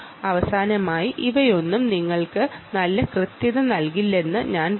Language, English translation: Malayalam, finally, i would say none of these things will give you very good accuracy